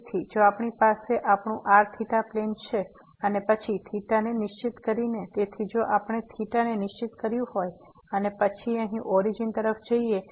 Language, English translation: Gujarati, So, if we have this is our theta plane, and then by fixing theta; so if we have fixed theta and then approaching to origin here